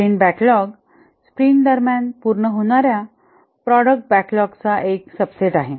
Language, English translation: Marathi, The sprint backlog is a subset of product backlog which are to be completed during a sprint